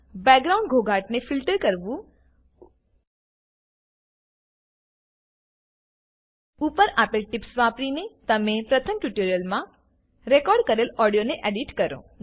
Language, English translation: Gujarati, Filter background noise Edit the audio that you recorded in the first tutorial using the tips given above